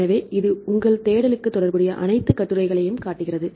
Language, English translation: Tamil, So, it show the all the articles, which are relevant to your search